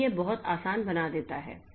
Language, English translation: Hindi, So, that makes it very easy